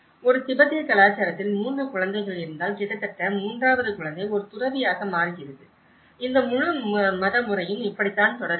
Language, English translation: Tamil, In a Tibetan culture, if you have 3 children, almost the third child becomes a monk and that is how this whole religious pattern is continued